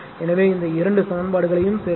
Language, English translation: Tamil, So, add these two equations if you do